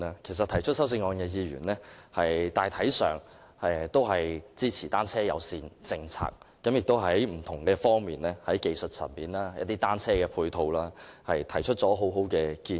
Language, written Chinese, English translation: Cantonese, 其實提出修正案的議員，大體上均支持單車友善政策，亦就不同方面如技術層面、單車配套等提出很好的建議。, In fact those Members proposing the amendments generally support a bicycle - friendly policy and they have also put forward excellent proposals on various aspects such as technical matters and bicycle - related ancillary facilities